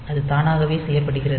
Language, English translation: Tamil, So, that is done automatically